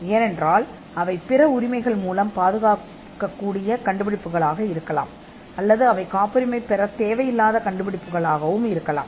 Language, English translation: Tamil, Because they could be inventions which could be protected by other means of rights, or they could be inventions which need not be patented at all